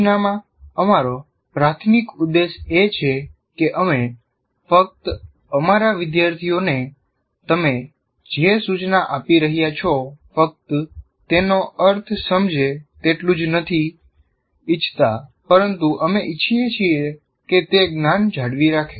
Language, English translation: Gujarati, The whole, our major purpose in instruction is we not only want our students to make sense of what you are instructing, but we want them to retain that particular knowledge